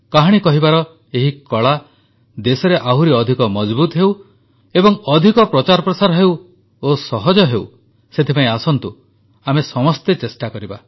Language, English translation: Odia, May this art of storytelling become stronger in the country, become more popularized and easier to imbibe This is something we must all strive for